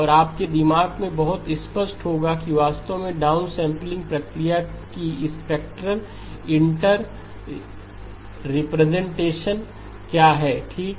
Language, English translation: Hindi, And will be very clear in your mind what exactly is the spectral interpretation of the downsampling process okay